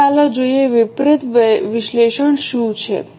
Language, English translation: Gujarati, Now let us look into what is variance analysis